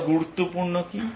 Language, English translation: Bengali, What is more important